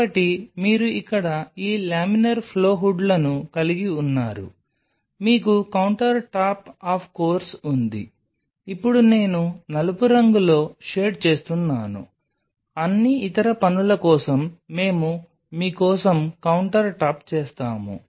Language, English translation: Telugu, So, you have this laminar flow hoods here you have the counter top of course, which I am shading in black now we are the countertop for you for all other works whatever